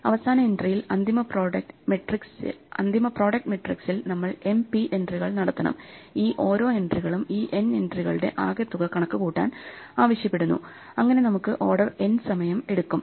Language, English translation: Malayalam, In the final entry, we have to make mp entries in the final product matrix; and each of these entries, require us to compute this sum of these n entries, so that takes us order n time